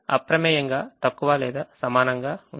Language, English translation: Telugu, now this is a less than or equal